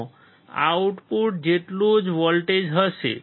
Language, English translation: Gujarati, It will have the same voltage as the output